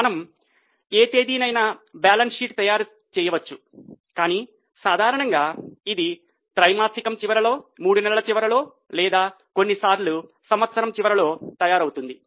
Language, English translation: Telugu, We can make balance sheet as on any date, but normally it prepared at the end of the quarter maybe at the end of three months or sometimes at the end of one year